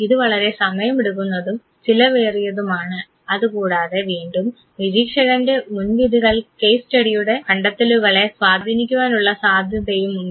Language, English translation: Malayalam, It is also very time consuming, sometime very expensive, and once again the bias of the observer might influence findings of case studies